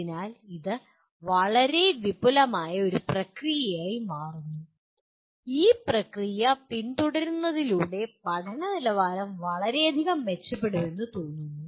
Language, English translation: Malayalam, So, this becomes a fairly elaborate process and by following this process it is felt that the quality of learning will greatly improve